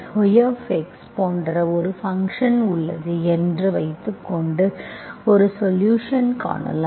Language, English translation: Tamil, If you think that, suppose there exists such a function y, x, there is a solution